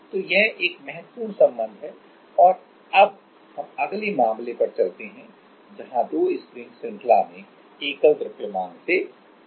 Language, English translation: Hindi, So, this is one important relation and now, let us go to the next case where two springs are connected to one single mass in series